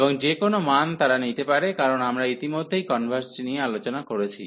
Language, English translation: Bengali, And any value they can take, because we have already discussed the convergence